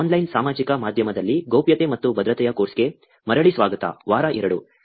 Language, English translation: Kannada, Welcome back to the course on Privacy and Security in Online Social Media, week 2